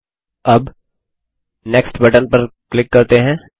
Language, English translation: Hindi, Now let us click on the Next button